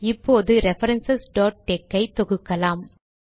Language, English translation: Tamil, Now we compile references.tex